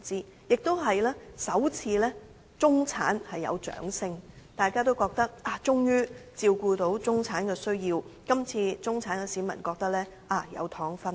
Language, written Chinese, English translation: Cantonese, 此外，這次也是首次聽到中產人士的掌聲，大家覺得政府終於照顧到中產人士的需要了，這次中產市民也認為有"糖"分了。, In addition this is the first time that an applause from the middle class can be heard . It is felt that the Government has finally catered to the needs of the middle - class people and this time around the middle - class people also think that they can have a share of the candies